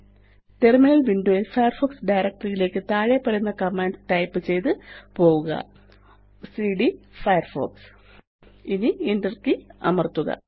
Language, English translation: Malayalam, In the Terminal Window go to the Firefox directory by typing the following command cd firefox Now press the Enter key